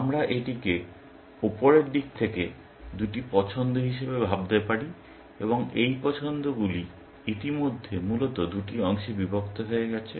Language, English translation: Bengali, We can think of it as two choices from the top level, and these choices already being broken down into two parts, essentially